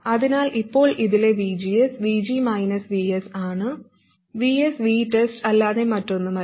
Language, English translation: Malayalam, So now VGS in this is VG minus Vs and Vs is nothing but V test